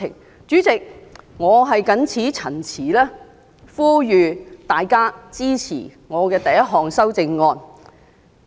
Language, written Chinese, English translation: Cantonese, 代理主席，我謹此陳辭，呼籲大家支持我第一項修正案。, In this way we can focus our efforts on handling other matters . Deputy Chairman with these remarks I call on Members to support my first amendment